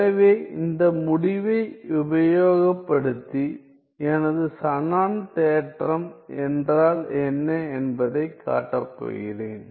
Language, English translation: Tamil, So, I am going to use this result, to show what is my Shannon theorem